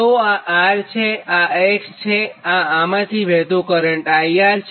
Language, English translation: Gujarati, so this is resistance r, this is x and current flowing through